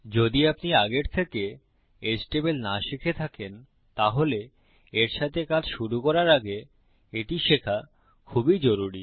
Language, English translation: Bengali, If you havent learnt HTML already, it would be very useful to learn it before you start working with this